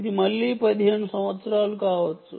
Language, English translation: Telugu, again, this can be fifteen years